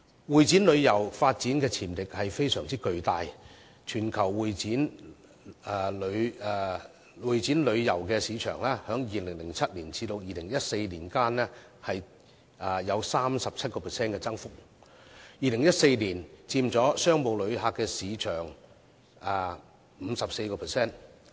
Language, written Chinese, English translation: Cantonese, 會展旅遊的發展潛力非常巨大，全球會展旅遊市場在2007年至2014年間的增幅達 37%， 而2014年佔商務旅遊的市場份額 54%。, Convention and exhibition tourism has immense development potential . Between 2007 and 2014 the global Meetings Incentive Travels Conventions and Exhibitions market had recorded a growth of 37 % and its market share in business tourism was 54 % in 2014